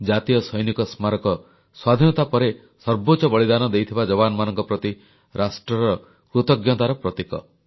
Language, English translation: Odia, The National Soldiers' Memorial is a symbol of the nation's gratitude to those men who made the supreme sacrifice after we gained Independence